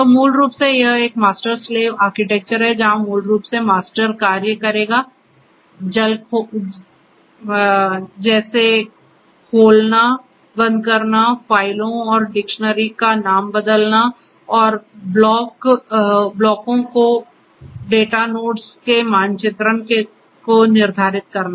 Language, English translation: Hindi, So, basically it is a master slave architecture, where basically the master executes the operations like opening, closing, the renaming the files and dictionaries and determines the mapping of the blocks to the data nodes